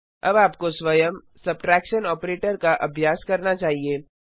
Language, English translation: Hindi, Now lets see how the addition operator works